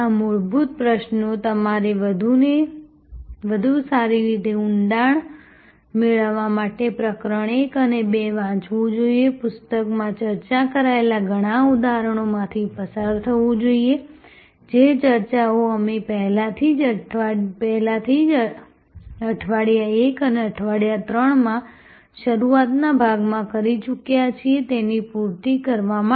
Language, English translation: Gujarati, These fundamental questions, you should read chapter 1 and chapter 2 to get it better depth, go through many of the examples which are discussed in the book, to supplement the discussions that we have already had in the early part in week 1 and week 3